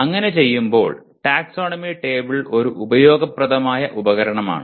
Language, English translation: Malayalam, And in doing so, the taxonomy table is a useful tool